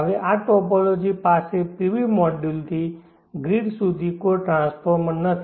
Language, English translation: Gujarati, Now this topology does not have any transformer right from the PV module to the grid